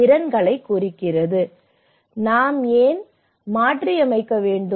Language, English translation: Tamil, See, why do we need to adapt